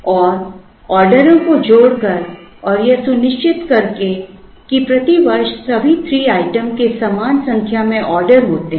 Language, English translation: Hindi, And by joining the orders and by making sure that, all 3 items have the same number of orders per year